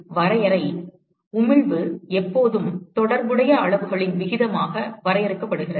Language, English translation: Tamil, So, the definition is: Emissivity is always defined as a ratio of the corresponding quantities